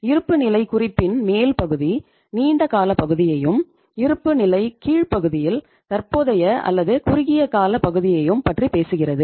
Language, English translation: Tamil, One part is dealing with the, this upper part of the balance sheet deals with the long term part and the lower part of the balance sheet talks about the current or the short term part